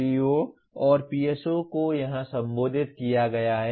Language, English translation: Hindi, The POs and PSOs are addressed here